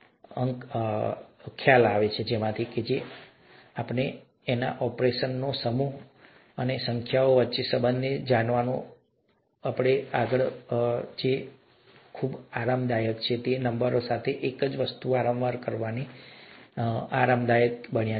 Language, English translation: Gujarati, Whatever we feel… excuse me, so comfortable with, you know, performing a set of operations on numbers, and knowing the relationship between numbers and so on and so forth that we are so comfortable with, became comfortable because of repeated doing of the same thing with those numbers, nothing else, okay